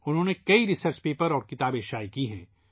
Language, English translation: Urdu, He has published many research papers and books